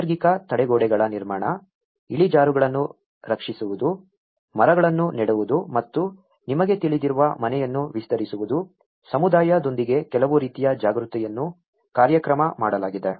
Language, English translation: Kannada, Construction of natural barriers, protecting slopes, planting trees and extending the house you know, some kind of awareness has been programmed with the community